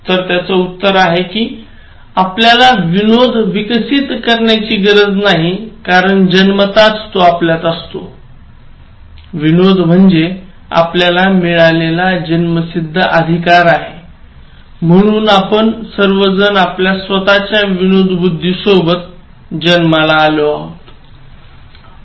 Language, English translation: Marathi, The interesting answer is that, we need not develop humour as it is something that we are born with, it is something like our birthright, so we are all born with our own sense of humour, we all have refined taste for humour